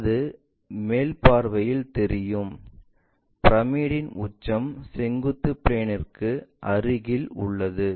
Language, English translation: Tamil, And that is visible in the top view, with apex of the pyramid being near to vertical plane